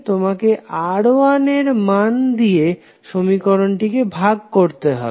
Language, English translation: Bengali, You will simply divide the equation by the value of R1